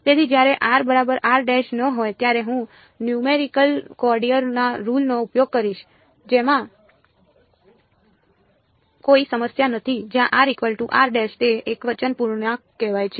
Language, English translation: Gujarati, So, when r is not equal to r prime I will use numerical quadrature rules no problem segments where r is equal to r prime those are what are called singular integrals